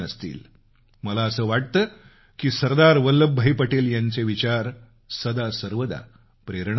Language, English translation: Marathi, One ideal of Sardar Vallabhbhai Patel will always be inspiring to all of us